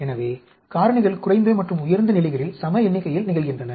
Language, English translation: Tamil, So, factors occurs equal number of times at low and high levels